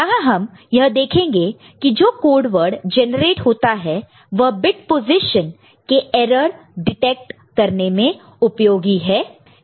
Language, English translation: Hindi, And here, we shall see the code word that is generated is useful for detecting any error in the bit position